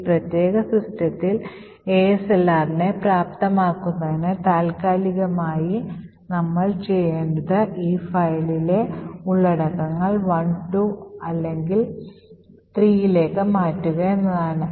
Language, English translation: Malayalam, In order to enable ASLR on this particular system temporally what we need to do is change the contents of this file to either 1, 2, or 3